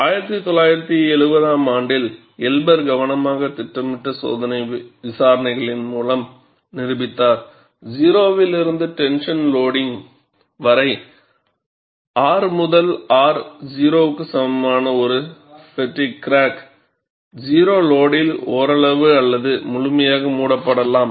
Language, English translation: Tamil, Elber in 1970 demonstrated through a set of carefully planned experimental investigations, that a fatigue crack propagating under zero to tension loading, that is R to R equal to 0, might be partially or completely closed at zero load